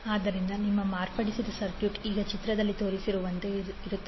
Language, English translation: Kannada, So, your modified circuit will now be as shown in the figure